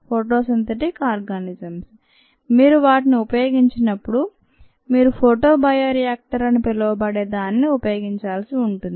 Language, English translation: Telugu, photosynthetic organisms: when you use them, you need to use something called a photobioreactor